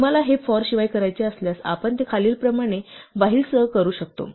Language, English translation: Marathi, If you want to do this without for, we could do it with a while as follows